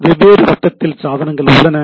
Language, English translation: Tamil, So, there are devices at different level